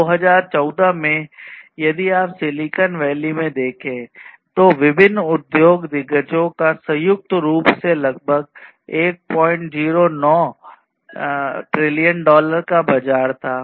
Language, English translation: Hindi, In 2014, if you look at in the Silicon Valley, the different industry giants together had a combined market of about 1